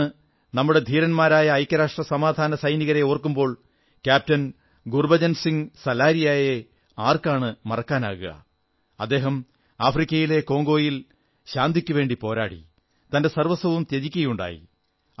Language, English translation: Malayalam, While remembering our brave UN Peacekeepers today, who can forget the sacrifice of Captain Gurbachan Singh Salaria who laid down his life while fighting in Congo in Africa